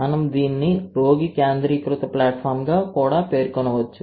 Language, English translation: Telugu, It is a, we can also name it as a patient centric platform